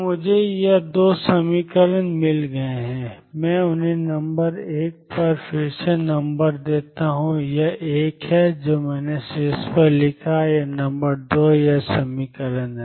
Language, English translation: Hindi, So, I have got these 2 equations let me remember them number 1 is this one, that I wrote on top and number 2 is this equation